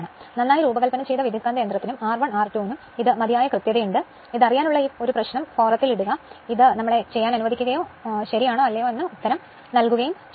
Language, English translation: Malayalam, This is sufficiently accurate for a well designed transformer and for R 1 R 2, just an exercise for you just you see you know you put the you put in on the forum that sir we are doing like this and we will we will we will give the answer whether you are correct or not right